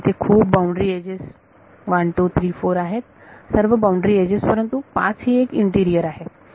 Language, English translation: Marathi, So, there are so many boundary edges 1 2 3 and 4 all boundary edges only 5 is interior